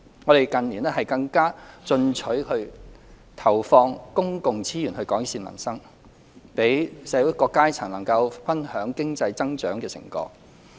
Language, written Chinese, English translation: Cantonese, 我們近年更加進取地投放公共資源改善民生，讓社會各階層能夠分享經濟增長的成果。, In recent years we have made ambitious resource allocation to improve peoples livelihood so that all strata of society may share the fruits of economic growth